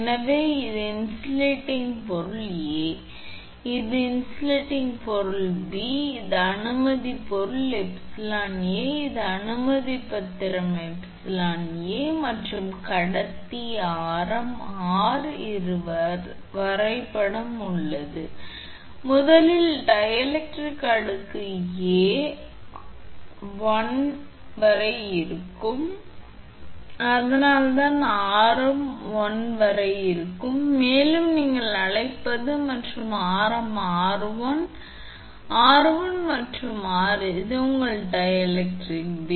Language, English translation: Tamil, So, this is insulating material A, this is insulating material B it is permittivity is epsilon A it is permittivity is epsilon B and this is the conductor radius r this is the diagram so; that means, so let the first dielectric layer A be up to radius r1 so it is a up to radius r1 and that your what you call and between radii r1 and r so r1 and R this is your the layer of dielectric B